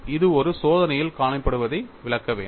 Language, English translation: Tamil, It should explain what is seen in an experiment